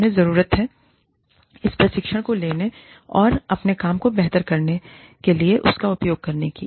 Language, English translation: Hindi, They need to take this training, and use it to better their work